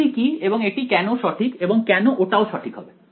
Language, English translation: Bengali, What is and it is correct and why would that be correct and why would this also be correct